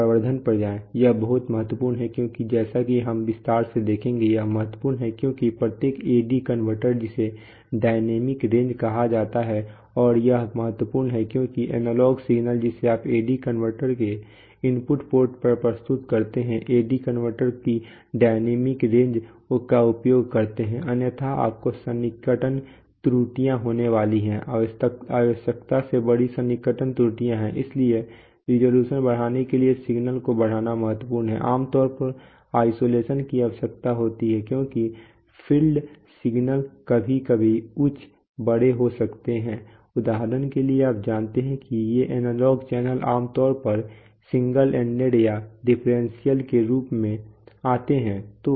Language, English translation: Hindi, so what we do in signal conditioning is, go to amplification, is very important because as we will see detail, is important because every AD converter has what is called is dynamic range and it is important that the analog signal that you are sort of presenting at the input port of the AD converter, is utilizes the dynamic range of the ad converter otherwise you are going to have approximation errors, larger approximation errors than are necessary, so it is important to amplify the signal to increase resolution, isolation is typically required because the field signals can be sometimes be at high, big, for example you know these analog channels generally come either as single ended or as differential